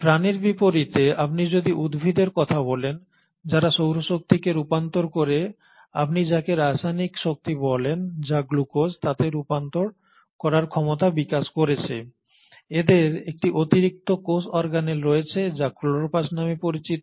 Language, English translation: Bengali, Then if you talk about plants which unlike animals have developed this remarkable activity and ability to convert solar energy into what you call as the chemical energy which is the glucose, you have an additional cell organelle which is called as the chloroplast